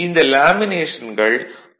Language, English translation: Tamil, The laminations are usually 0